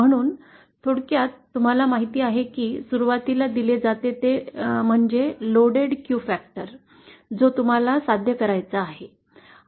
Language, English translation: Marathi, So in summary you know what is initially given is the loaded Q factor that you have to achieve